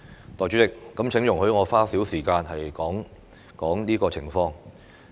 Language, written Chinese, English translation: Cantonese, 代理主席，請容許我花少許時間談談這個情況。, Deputy President please allow me to spend some time discussing this subject